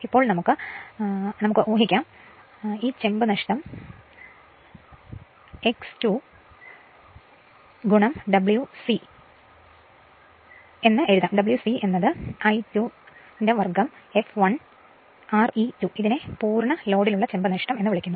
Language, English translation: Malayalam, Now, therefore, we can assume or we can write that copper loss is equal to x square into W c; W c is equal to I 2 square f l R e 2, it is called full load copper loss